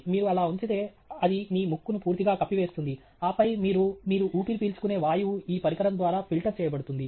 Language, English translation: Telugu, If you put it like that, it would then completely cover your nose, and then, you wouldÉ whatever you breathe would then be filtered through this device